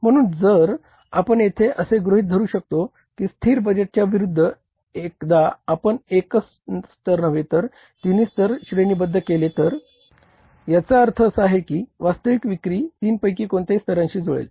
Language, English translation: Marathi, So, we can assume here that once we have created the budget for three levels, not for one level only unlike the static budget, so means it is quite likely that actual sales may coincide with any of the three levels